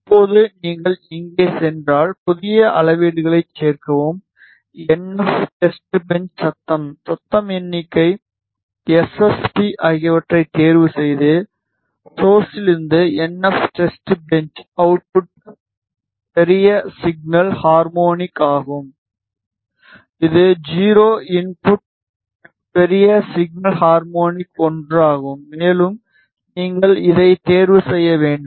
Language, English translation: Tamil, Now if you go here add new measurement, choose NF test bench Noise, Noise figure SSB and you see that ah the source is NF test bench output large signal harmonic which is o, input large signal harmonic as 1; upper you have to uncheck this